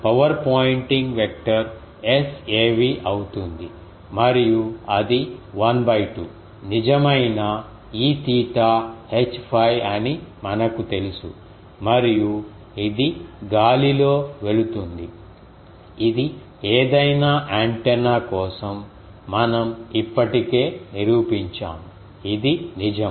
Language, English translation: Telugu, Power pointing vector that will be S average and we know that is half real E theta H phi star in and it goes in ar, that we have already proved for any antenna this is true